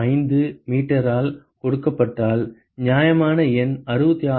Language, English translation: Tamil, 5 meter is that a reasonable number 66